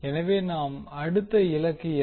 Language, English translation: Tamil, Now, what is the next task